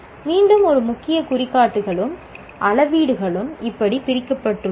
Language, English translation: Tamil, Again, key indicators and metrics are divided like this